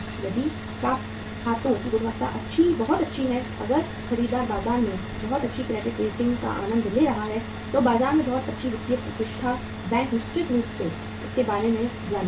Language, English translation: Hindi, If the quality of the accounts receivables is very good, if the buyer is enjoying a very good credit rating in the market, very good financial reputation in the market, bank will certainly know about it